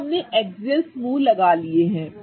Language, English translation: Hindi, Okay, so now we are sorted with the axial group